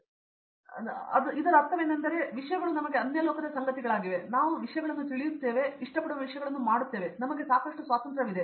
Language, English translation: Kannada, Tech we have been learning something which we are not aware of, but I mean those things are very alien things to us, but now we are aware of the things and we are doing the things which we like and we have lot of freedom